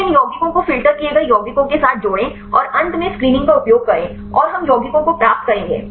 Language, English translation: Hindi, Then add up these compounds with the filtered compounds and finally, use the screening and we will get the compounds